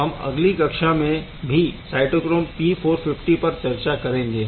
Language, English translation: Hindi, We will we will this keep on discussing on cytochrome P450 in the next class